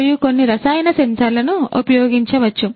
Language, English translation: Telugu, And some chemical sensors could be used